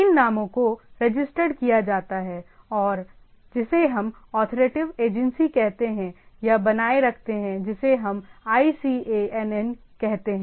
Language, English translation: Hindi, These names are registered with and maintained by what we say authoritative agency or vice what we can what we call as ICANN